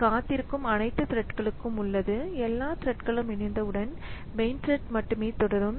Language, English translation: Tamil, So, it is for all the threads it will wait and once it is all the threads have joined then only the main thread will proceed